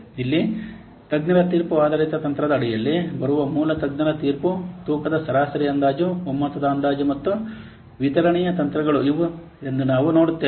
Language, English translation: Kannada, Here we will see these are the techniques which are coming under expert judgment based techniques, that is basic expert judgment, weighted average estimating, consensus estimating and delivery